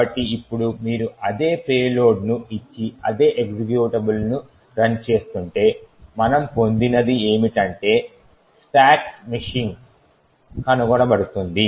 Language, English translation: Telugu, So now if you run the same executable giving the same payload, what we obtain is that stacks machine gets detected